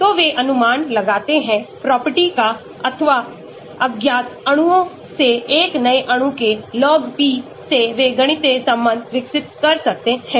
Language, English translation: Hindi, so they can predict the property or the log P of a new molecule from known molecules they would have developed a mathematical relationship